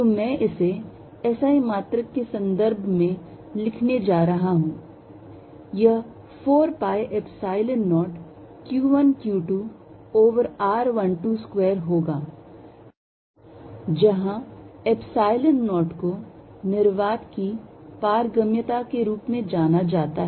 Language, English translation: Hindi, So, I have to put in minus sign out of here which I can equally well write as 1 over 4 pi Epsilon 0, q 1 q 2 over r 1 2 square r 2 1, where r 2 1 is a unit vector form 2 to 1, r 2 1 should be unit vector